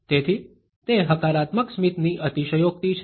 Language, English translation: Gujarati, So, it is an exaggeration of a positive smile